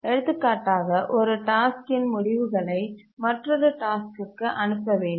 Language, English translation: Tamil, For example, the results of one task needs to be passed on to another task